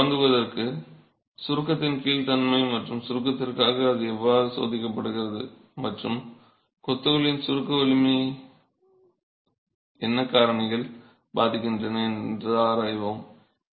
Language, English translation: Tamil, So, to begin with we will examine behavior under compression and how it's tested for compression and what factors influence the compressive strength of masonry itself